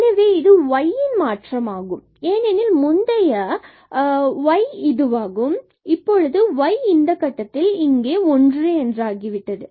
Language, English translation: Tamil, So, that is a change in delta y because earlier the y was this one and now the y has become this one here at this point